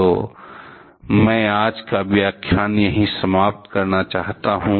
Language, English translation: Hindi, So, I would like to finish today's lecture here itself